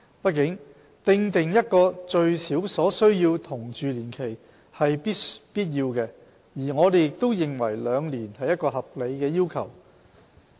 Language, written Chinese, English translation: Cantonese, 畢竟，訂定一個最少所需同住年期是必要的，而我們認為兩年是一個合理的要求。, After all it is necessary to set a minimum duration of cohabitation and we believe the requirement of two years is reasonable